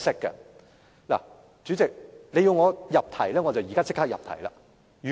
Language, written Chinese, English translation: Cantonese, 代理主席，你要求我入題，我現在便立刻入題。, Deputy President you require me to get on to the subject so I will get on to it immediately